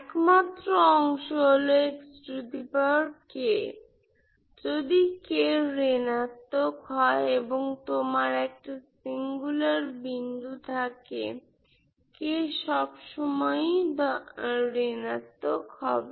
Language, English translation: Bengali, If k is negative and you have a singular point k will always be some kind of negative